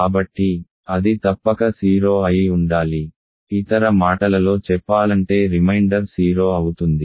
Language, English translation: Telugu, So, it must be 0 in other words reminder is 0